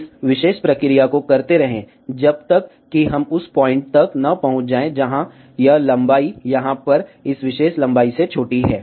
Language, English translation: Hindi, Keep doing this particular process, till we reach to a point, where this length is smaller than this particular length over here